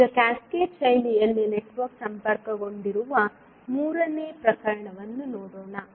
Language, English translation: Kannada, Now, let us see the third case where the network is connected in cascaded fashion